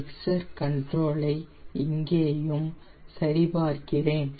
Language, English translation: Tamil, i i will check my mixture control also